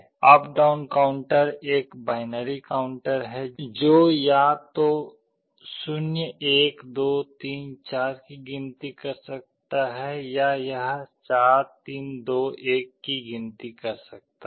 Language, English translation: Hindi, Up/down counter is a binary counter which can either count up 0, 1, 2, 3, 4 or it can count down 4, 3, 2, 1